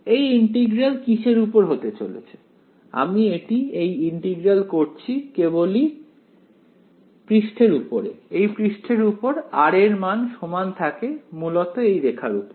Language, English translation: Bengali, What will this integral over I am now doing this integral only on the surface right, on this surface the value of r is constant right on the line rather